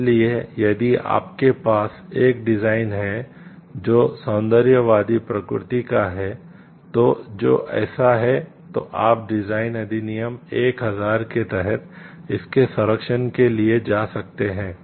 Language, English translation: Hindi, So, if you have a design which is of aesthetic nature; so, which is so, so you can go for the protection of this under the Designs Act 2000